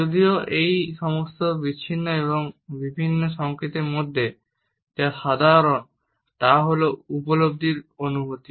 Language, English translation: Bengali, Even though what is common in all these isolated and different signals is a sense of appreciation